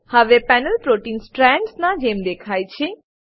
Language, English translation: Gujarati, The protein is now displayed as Strands on the panel